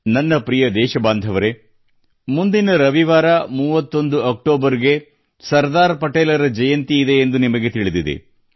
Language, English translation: Kannada, you are aware that next Sunday, the 31st of October is the birth anniversary of Sardar Patel ji